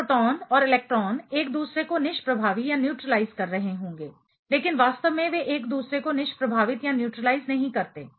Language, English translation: Hindi, This proton and electron should be neutralizing each other, but in reality they do not neutralize each other